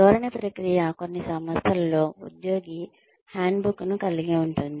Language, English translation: Telugu, The orientation process can consist of, in some organizations, an employee handbook